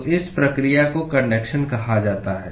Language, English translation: Hindi, So, this process is what is called as conduction